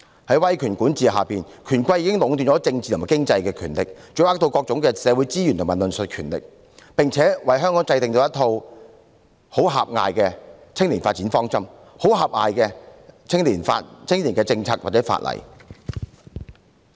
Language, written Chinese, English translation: Cantonese, 在威權管治下，權貴已經壟斷了政治和經濟權力，掌握各種社會資源及論述權，並為香港制訂了一套很狹隘的青年發展方針、很狹隘的青年政策或法例。, Under authoritarian rule the powerful and privileged have already monopolized the political and economic powers seized control of various types of social resources and the power of discussion and analysis as well as formulating a very narrow direction of youth development and very restricted policies or legislation related to young people